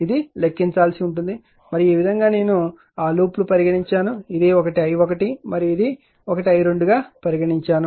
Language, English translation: Telugu, That you suppose you have to compute and this way I have taken that loops are this thing the way I have taken this is one is i 1 and this is one is like taken i 2 right